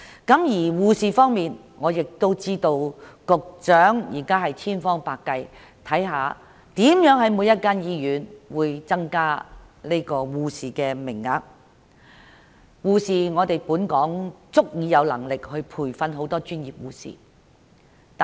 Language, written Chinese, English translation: Cantonese, 至於護士方面，據我所知，局長正千方百計增加每所醫院的護士名額，而香港亦有足夠能力培訓更多專業護士。, As for the shortage of nursing manpower to my knowledge the Secretary is making every possible attempt to increase the number of nursing posts in every hospital and there is also adequate training capacity in Hong Kong to train more professional nurses